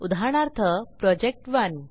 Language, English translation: Marathi, For example, project1